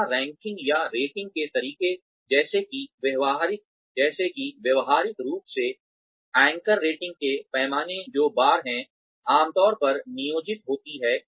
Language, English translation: Hindi, Where ranking or rating methods such as, behaviorally anchored rating scales, which is bars, are commonly employed